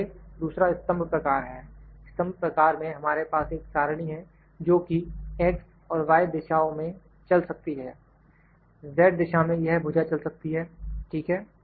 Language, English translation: Hindi, So, second one is column type, in column type we have the table that can move here this table can move in X and Y direction in Z direction this arm can move, ok